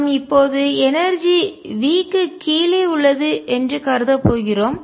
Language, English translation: Tamil, We are going to assume that the energy lies below V